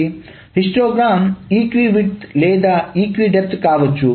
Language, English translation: Telugu, So the histogram can be either equi width or an equidepth